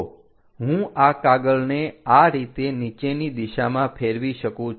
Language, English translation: Gujarati, So, that I can flip this page all the way downward direction